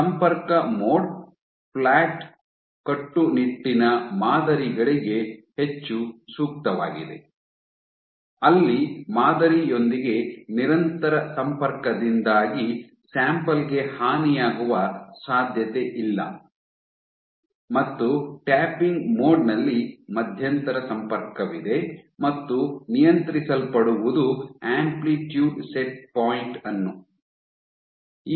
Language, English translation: Kannada, So, these are two imaging modes; contact mode being more suitable for flat rigid samples where there is no chance of damage to the sample because you are in perpetual contact with the sample and you have the tapping mode in which your intermittent contact and what you control is the amplitude set point